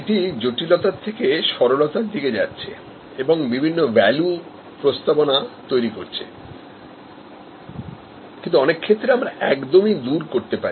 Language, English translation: Bengali, This is going from complexity to simplicity and creating different value proposition, but in many cases, we can even eliminate